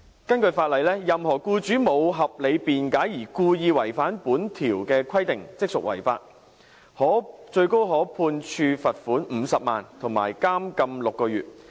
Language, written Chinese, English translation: Cantonese, 根據法例，任何僱主無合理辯解而故意違反本條例的規定，即屬違法，最高可判處罰款50萬元，以及監禁6個月。, Under the law any employer who contravenes the provision of the ordinance wilfully and without reasonable excuse commits an offence and is liable to a maximum penalty of a 500,000 fine and six months imprisonment